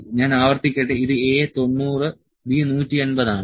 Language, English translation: Malayalam, Let me repeat this is A 90 B 180